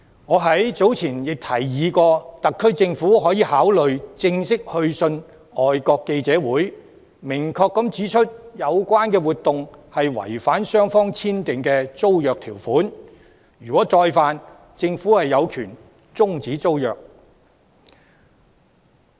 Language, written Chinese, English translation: Cantonese, 我早前亦曾提議，特區政府可以考慮正式去信外國記者會，明確指出有關活動違反雙方簽訂的租約條款，如有再犯，政府有權終止租約。, I have also suggested earlier that the HKSAR Government could consider sending an official letter to FCC stating unequivocally that the activity has violated the terms of the lease agreement signed by the two parties and should there be another offence the Government has the right to terminate the lease agreement